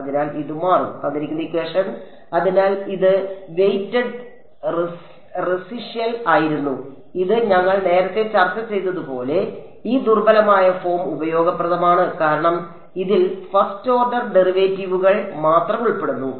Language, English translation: Malayalam, So, this was weighted residual and this is and as we discussed earlier this weak form is useful because it involves only first order derivatives